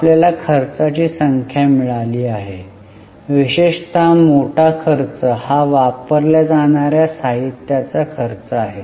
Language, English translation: Marathi, We have got number of expenses, particularly the larger expenses cost of material consumed